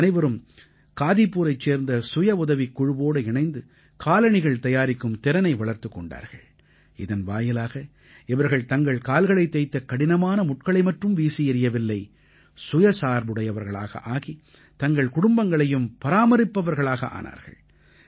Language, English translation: Tamil, These women aligned withthe women selfhelp group of Kadipur, joined in learning the skill of making slippers, and thus not only managed to pluck the thorn of helplessness from their feet, but by becoming selfreliant, also became the support of their families